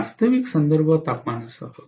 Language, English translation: Marathi, With the actual reference temperature